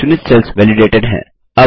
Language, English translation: Hindi, The selected cells are validated